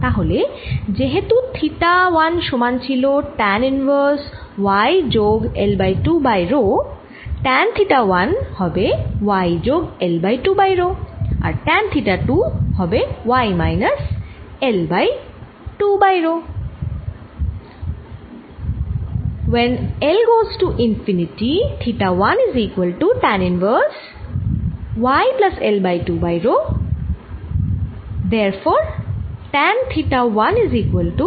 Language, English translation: Bengali, in that case theta one which was equal to tan inverse, y plus l by two over rho become tan theta one equals y plus l by two over rho and tan theta two becomes y minus l by two over rho